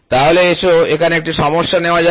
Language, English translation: Bengali, So, let us take the problem here